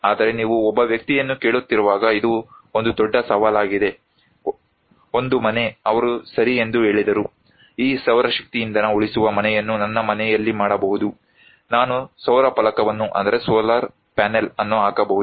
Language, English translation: Kannada, but this is a great challenge, when you are asking one person; one household, they said okay, I can do this solar power energy saving house in my; I can put solar panel